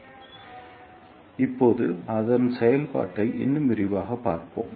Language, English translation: Tamil, So, let us see its working in more detail now